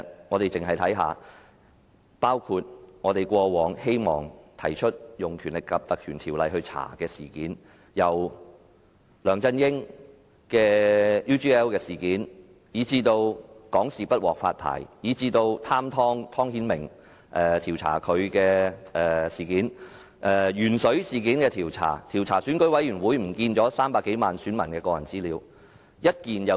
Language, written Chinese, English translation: Cantonese, 過往我們希望引用《條例》調查的事件包括梁振英的 UGL 事件；香港電視網絡有限公司不獲發牌；調查"貪湯"湯顯明事件；調查鉛水事件；以及調查選舉事務處遺失300多萬名選民的個人資料事件。, In the past we hoped to invoke the Ordinance to conduct investigations on the following incidents the UGL incident of LEUNG Chun - ying; the failure to grant Hong Kong Television Network Limited a free TV licence; the greedy TONG or Timothy TONG incident; the lead - in - water incident; and the incident of the Registration and Electoral Office missing the personal information of more than 3 million voters